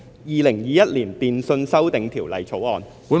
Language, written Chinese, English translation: Cantonese, 《2021年電訊條例草案》。, Telecommunications Amendment Bill 2021